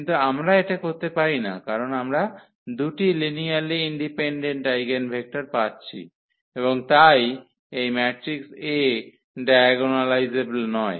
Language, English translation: Bengali, So, we cannot do in this case because we are getting 2 linearly independent eigenvectors and therefore, this matrix A is not diagonalizable